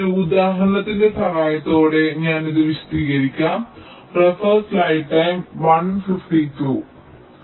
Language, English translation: Malayalam, let me illustrate this with the help of an example